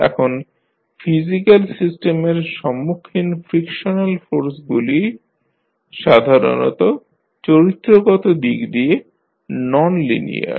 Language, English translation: Bengali, Now, the frictional forces encountered in physical systems are usually non linear in nature